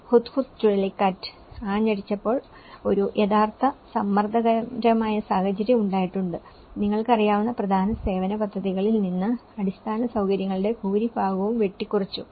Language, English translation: Malayalam, When Hudhud cyclone has hit, there has been a real pressurized situation, much of the infrastructure has been cut down from you know, the main service plans